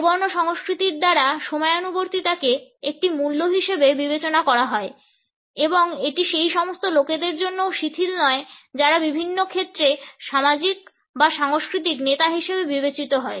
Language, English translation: Bengali, Punctuality is considered by monochronic cultures as a value and it is not relaxed even for those people who are considered to be as social or cultural leaders in different fields